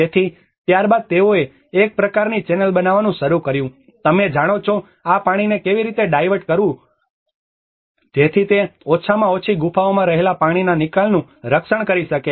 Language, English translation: Gujarati, So, then they started making a kind of channel you know how to divert this water so that at least it can protect the water seepage in the caves